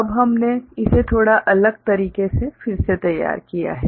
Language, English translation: Hindi, Now, we have redrawn it in a little bit different manner